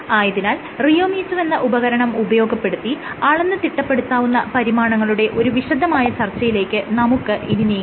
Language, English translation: Malayalam, So, let us briefly go through solve the measurements that in you can measure using a rheometer